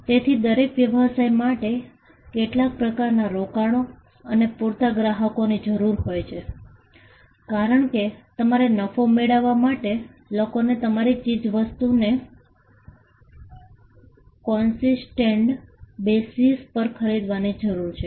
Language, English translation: Gujarati, So, every business requires some form of investment and enough customers because you need people to buy your stuff to whom, its output can be sold on a consistent basis, in order to make profit